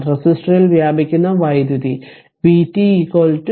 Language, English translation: Malayalam, The power dissipated in the resistor is v t is equal to v t into i R